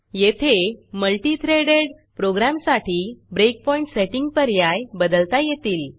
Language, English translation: Marathi, Here you can change settings for multi threaded program breakpoint options